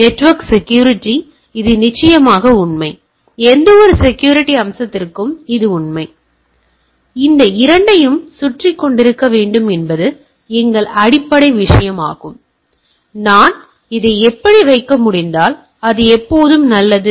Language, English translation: Tamil, So, this is true for definitely for network security it is true for any type of security aspects right; so our basic thing that it should be hovering around this two; if it is always good if I can put it like this right